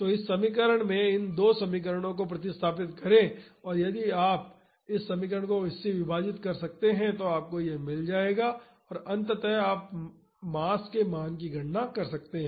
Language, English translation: Hindi, So, substitute in these two equations in this equation and if you can divide this equation by this, you will get this and eventually you can calculate the value of the mass